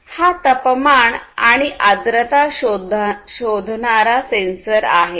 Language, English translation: Marathi, So, this is a temperature and humidity sensor